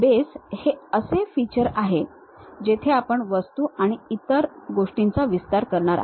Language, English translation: Marathi, Boss feature is the one where you are going to extend the things add material and other things